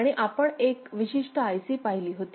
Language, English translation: Marathi, And also we looked at one particular IC